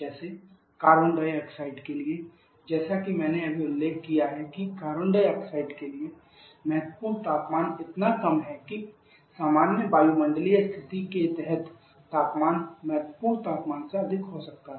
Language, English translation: Hindi, Like for Carbon dioxide and just mentioned that for Carbon dioxide critical pressure temperature is so low that under normal atmospheric condition the temperature in higher the critical temperature